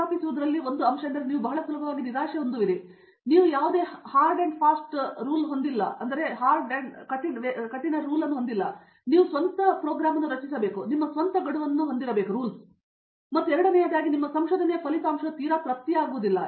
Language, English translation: Kannada, So, you would not, there is no hard and fast deadlines as such so, you have to structure you are own program, you need to have your own deadlines and secondly, the output of your research is not very immediate